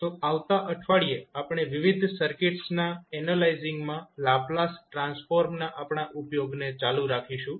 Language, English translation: Gujarati, So, next week we will continue our utilization of Laplace transform in analyzing the various circuits